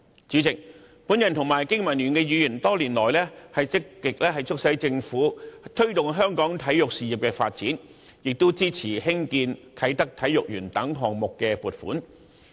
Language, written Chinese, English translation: Cantonese, 主席，我及經民聯的議員多年來積極促使政府推動香港體育事業發展，亦支持興建啟德體育園等項目的撥款。, President over the years I myself and Members of BPA have been playing an active part in urging the Government to promote sports development in Hong Kong and we have also supported the funding for various construction works such as Kai Tak Sports Park